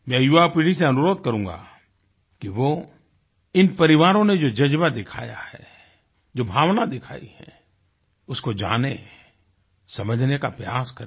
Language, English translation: Hindi, I urge the young generation to know and understand the fortitude and the sentiment displayed by these families